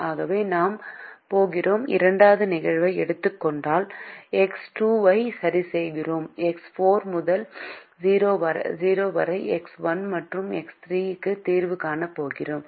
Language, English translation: Tamil, so we are going to, if we take the second instance, we are fixing x two and x four to zero and we are going to solve for x one and x three